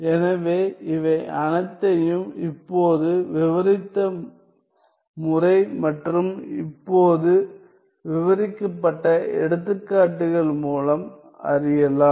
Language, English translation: Tamil, So, this can all be found out by the method just described and by the examples just described